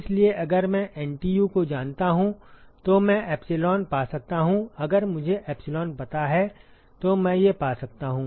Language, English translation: Hindi, So, if I know NTU I can find epsilon, if I know epsilon I can find these